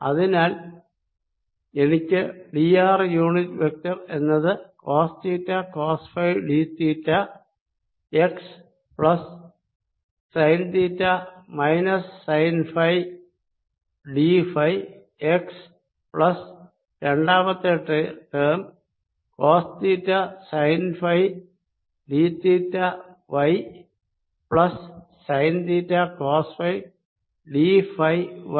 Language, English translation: Malayalam, therefore d r unit vector i can write as cos theta, cos phi d theta x plus sine theta, minus sine phi d phi x, plus the second term, cos theta sine phi d theta y plus sine theta, cos phi d phi y sorry, this is ah y plus this change, which is minus sine theta z